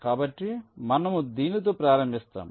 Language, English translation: Telugu, so we start with this